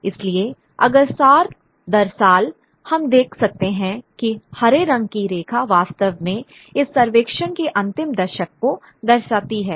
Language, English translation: Hindi, So, if you year on year, we can see that the number of the green line actually shows the final sort of decade of this survey